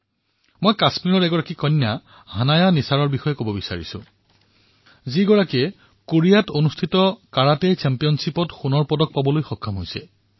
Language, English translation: Assamese, Let me tell you about one of our daughters from Kashmir who won a gold medal in a Karate Championship in Korea